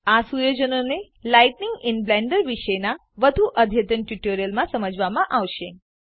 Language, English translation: Gujarati, These settings will be covered in more advanced tutorials about lighting in Blender